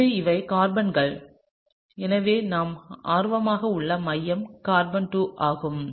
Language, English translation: Tamil, So, these are the carbons here, so the centre that we are interested in is this one over here which is carbon 2